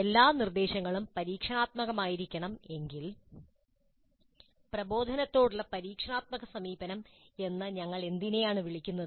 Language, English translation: Malayalam, If all instruction must be experiential, what do we call as experiential approach to instruction